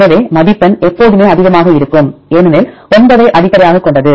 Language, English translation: Tamil, So, the score will be always high because based on the 9